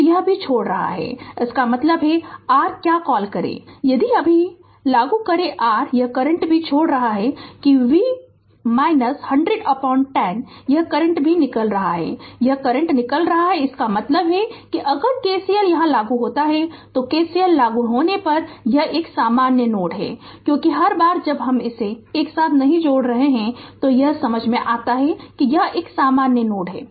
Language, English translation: Hindi, So, it is also leaving right so; that means, your what you call if you now if you apply your this current also leaving, that V minus 100 by 10 this current is also leaving, this current is also leaving; that means, if you apply KCL here this is a common node if you apply KCL because every time I am not bunching it together, it is understandable it is a common node